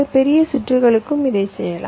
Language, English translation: Tamil, it can be done for large circuits also